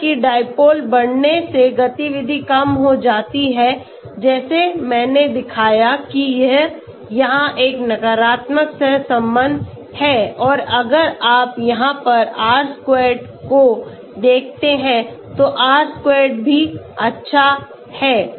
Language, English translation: Hindi, So let us look at dipole, x=dipole okay, so as the dipole increases activity decreases like I showed you it is a negative correlation here and if you look at the R squared here, R squared this is also good